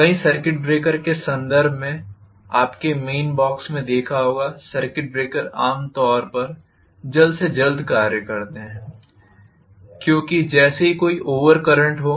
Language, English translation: Hindi, In terms of many circuit breakers you might have seen in the mains box, the circuit breakers generally act as soon as maybe there is an over current